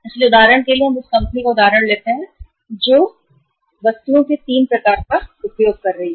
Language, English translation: Hindi, So uh for example we take the example of a of a company who is using the 3 types of uh items